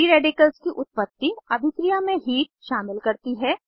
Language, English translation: Hindi, Formation of free radicals involves heat in the reaction